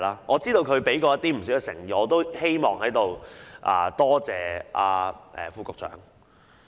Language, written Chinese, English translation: Cantonese, 我知道他已展示不少誠意，我也希望在此多謝副局長。, I understand that the Under Secretary has demonstrated sincerity for which I thank him